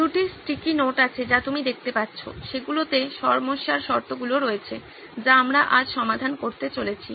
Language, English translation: Bengali, There are two sticky notes that you can see, those have the conditions of the problem that we are going to solve today